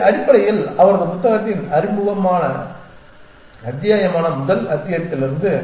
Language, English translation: Tamil, And this is basically from the first chapter which is the introduction chapter of his book